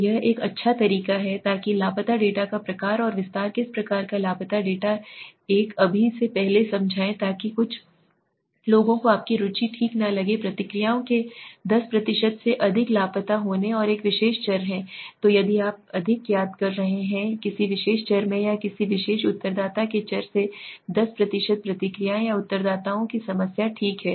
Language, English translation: Hindi, So that is one good way so the type and extend of missing data what type of missing data I explain just now before that so some people are not interested something right so if you are missing more than 10% of responses and have a particular variable so if you are missing more than 10% of the responses in a particular variable or from a particular respondents that variable or the respondents is the case of a problem okay